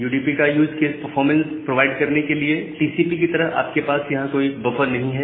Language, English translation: Hindi, So, the use cases of UDP is to provide performance, you do not have any buffer like TCP